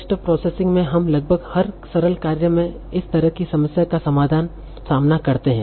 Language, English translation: Hindi, So in text processing, if we face this kind of problem in nearly every simple task that we are doing